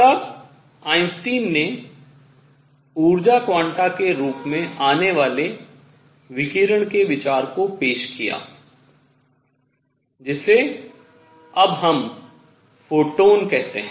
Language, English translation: Hindi, Then Einstein introduced the idea of the radiation itself coming in the form of energy quanta, which we now call photons